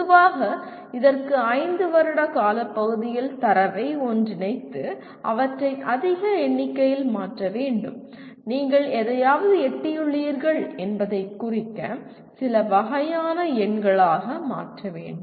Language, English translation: Tamil, Generally it requires collating the data over a period of 5 years and converting them into a large number of what do you call the into some kind of numbers to indicate that to what extent something has been attained